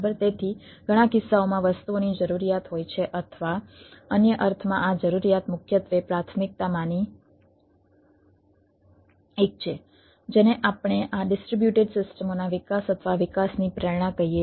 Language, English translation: Gujarati, so in the several cases there is a need of the things or in other sense, this, this need primarily one of the primary ah what we say motivation of developing or development of this distributed systems